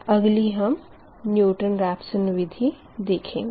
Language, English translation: Hindi, next we will take ah newton raphson method